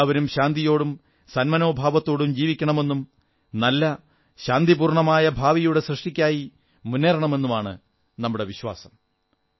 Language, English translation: Malayalam, We believe that everyone must live in peace and harmony and move ahead to carve a better and peaceful tomorrow